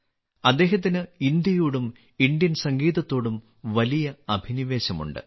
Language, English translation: Malayalam, He has a great passion for India and Indian music